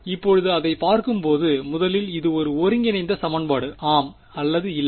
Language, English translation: Tamil, Now looking at this what kind of a first of all is it an integral equation, yes or no